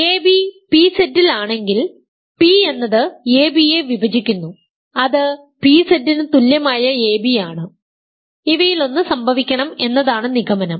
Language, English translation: Malayalam, If ab is in p Z this is the hypothesis, ab is in pZ the hypothesis is p divides ab that is equivalent ab being in pZ we want one of these must happen ok